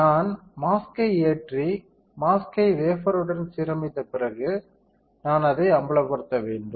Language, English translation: Tamil, After I load the mask and align the mask with the wafer, I have to expose it